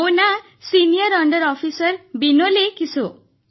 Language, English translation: Odia, This is senior under Officer Vinole Kiso